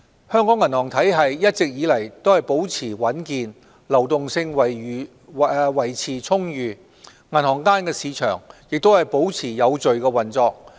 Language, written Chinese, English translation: Cantonese, 香港銀行體系一直以來保持穩健，流動性維持充裕，銀行間市場也保持有序運作。, Hong Kongs banking system has been sound and robust . The liquidity of our banking system remains ample and the interbank market continues to operate orderly